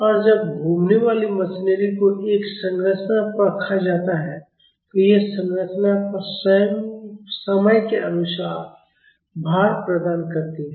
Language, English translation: Hindi, And when rotating machinery is placed on a structure it imparts a time varying load to the structure